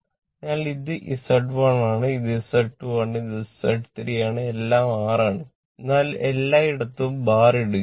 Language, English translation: Malayalam, So, this is Z1 this is Z2 this is your Z3 this is your this is your Z1, this is your Z2 and this is your say Z3 right all that is R, but will write, but everywhere we will not put bar